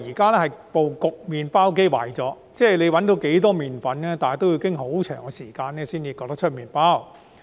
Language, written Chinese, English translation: Cantonese, 他指出，麵包機壞了，無論找到多少麵粉，也要很長時間後才能焗出麵包。, He remarked that if the bread maker is out of order it would take very long time to bake the bread regardless of how much flour we obtain